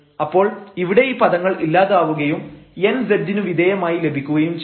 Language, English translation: Malayalam, So, here these terms cancel out and then we get simply n into z term